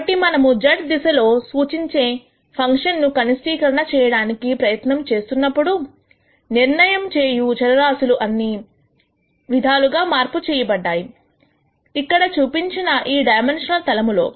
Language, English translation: Telugu, So, while we are trying to minimize a function which is represented in the z direction, all the changes to the decision variables are being done in a 2 dimensional plane which is shown here